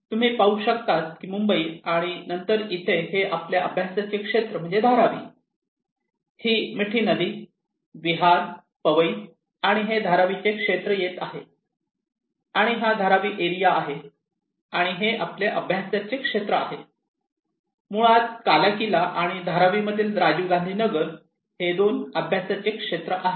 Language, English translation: Marathi, This is Maharashtra, and this is Mumbai you can see Mumbai and then here is our study area Dharavi this is Mithi river coming for Vihar, Powai and this is Dharavi area and this is our study area, two study areas basically Kalaquila and Rajiv Gandhi Nagar in Dharavi